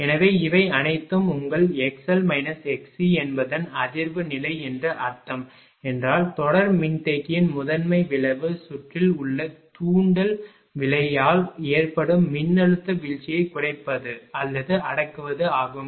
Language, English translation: Tamil, So, if all of it means that your x l minus x c it will be resonance condition right therefore, the primary effect of the series capacitor is to minimise or even suppress the voltage drop caused by the inductive reactance in the circuit